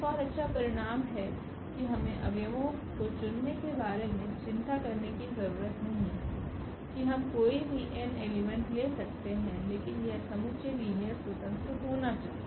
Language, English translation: Hindi, Another beautiful result that we do not have to worry about picking up the elements for the basis we can take any n elements, but that set should be linearly independent